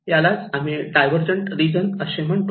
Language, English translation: Marathi, And this is we call divergent region